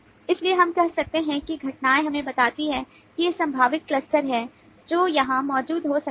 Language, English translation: Hindi, so we can say that events tell us that these are the possible clusters that may be present here